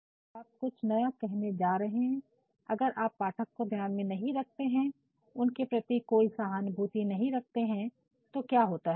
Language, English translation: Hindi, So, and of course, when you are going to say something new, and you bring something new without any consideration about your readers and without any sympathy towards the readers then what happens